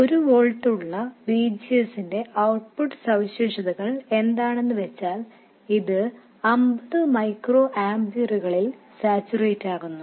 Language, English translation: Malayalam, And the output characteristics also for VGs of 1 volt it saturates to 50 microamperes